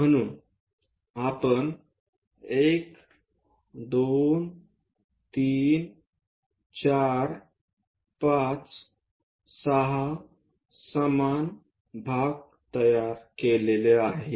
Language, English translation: Marathi, So, 1 2 3 4 5 6 equal divisions we have constructed